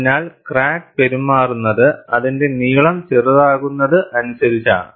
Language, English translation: Malayalam, So, that means, crack behaves as if it is smaller in length